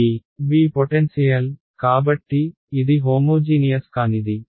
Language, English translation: Telugu, V the potential right; so, it is non homogeneous